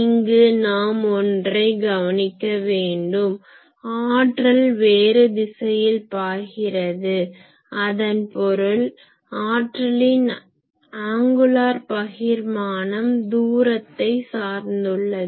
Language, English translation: Tamil, But one important point is here still the power that is flows in different direction; that means angular distribution of power that is still dependent on the distance